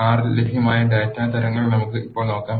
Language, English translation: Malayalam, Let us now look at the data types that are available in the R